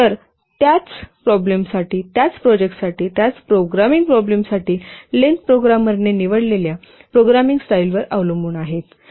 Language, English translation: Marathi, So, the same for the same problem, for the same project, for the same programming problem, the length would depend on the programming style that the program has chosen